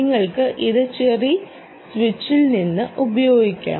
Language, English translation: Malayalam, cherry is called the cherry switch